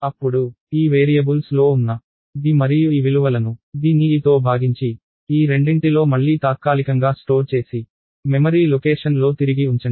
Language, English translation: Telugu, Then, take d and e the values contain in these variables divide d by e (d/e), store it again temporarily at these two and put it back the memory location a itself